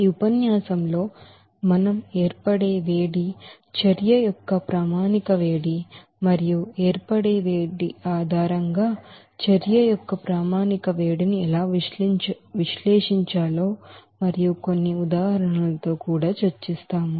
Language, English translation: Telugu, So in this lecture, we will discuss the heat of formation, standard heat of reaction and also how to analyze those standard heat of reaction based on the heat of formation and also with some examples